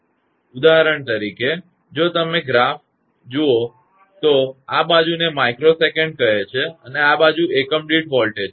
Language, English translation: Gujarati, For example, if you look at the graph, this side it is micro second and this side is a voltage per unit